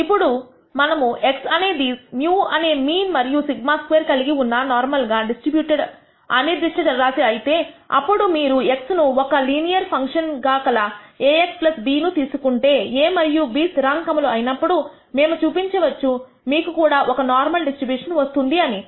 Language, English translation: Telugu, Now, we can show that if x is a normally distributed random variable with mean mu and sigma squared, then if you take a linear function of this x denoted by ax plus b, where a and b are some constants, then we can show that y you will also have a normal distribution